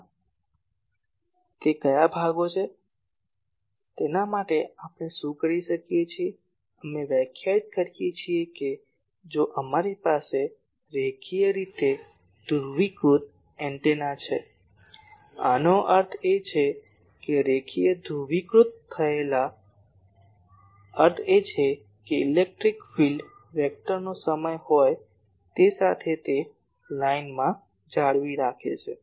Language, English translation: Gujarati, So, which sections it is for that what we do, we define that if we have a linearly polarized antenna; that means, linearly polarized means the electric field vector is having a with time it is maintaining a along a line